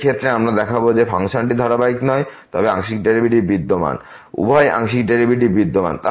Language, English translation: Bengali, In this case, we will show that the function is not continuous, but its partial derivatives exist; both the partial derivatives exist